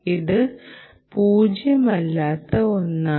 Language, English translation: Malayalam, this is a nonzero one